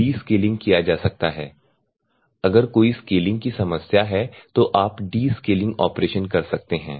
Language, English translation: Hindi, Descaling can be done, if there is any scaling problems are there you can do the descaling operations